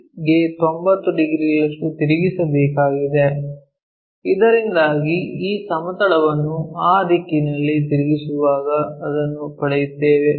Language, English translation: Kannada, So, we have to rotate it by 90 degrees to this HP, so that we will be getting this plane, this one while flipping it in that direction